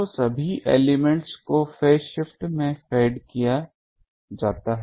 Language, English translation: Hindi, So, all elements are fed in phase